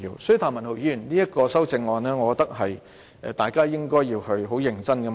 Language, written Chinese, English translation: Cantonese, 所以，譚文豪議員的修正案，我認為大家應該要認真探討。, Therefore I think that Members should seriously explore the CSA proposed by Mr Jeremy TAM